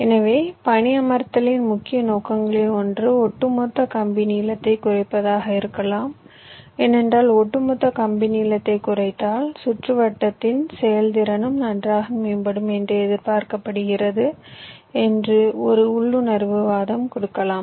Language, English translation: Tamil, so one of the main objectives of placement may be to reduce the overall wire length, because one intuitive argument you can give that if i minimize the overall wire length it is expected that the performance of my circuit will also improve